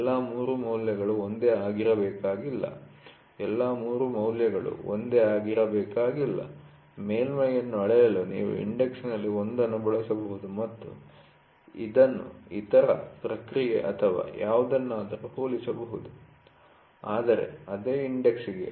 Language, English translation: Kannada, All the 3 values need not give the same, all the three values need not be the same, you can use one in index to measure a surface and compare this with the other, other process or something, but for the same index, ok